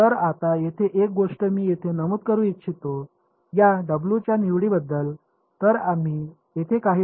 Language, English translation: Marathi, So, now one thing I want to mention over here, about the choice of these W ok